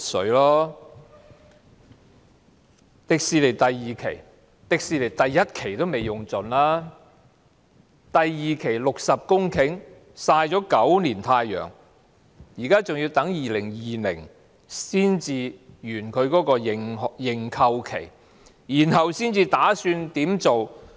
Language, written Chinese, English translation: Cantonese, 至於香港迪士尼樂園第二期的預留土地，第一期的土地尚未用盡，第二期的60公頃曬了9年太陽，認購期還要到2020年才屆滿，然後才打算怎麼做。, As for the site reserved for the second phase development of the Hong Kong Disneyland while the site for the first phase has yet to be fully utilized and the 60 hectares of land for the second phase have been sunbathing for nine years the period for purchasing the site will expire only in 2020 and plans on the use of the site will not be made until then